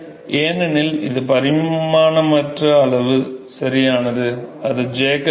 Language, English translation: Tamil, Because it is dimensionaless quantity right that is the Jacob number